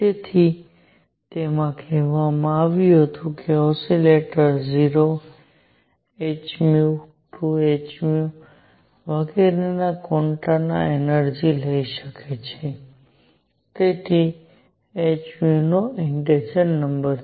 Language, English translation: Gujarati, So, it said that an oscillator can take energies in quanta of 0, h nu, 2 h nu and so on so integer number of h nu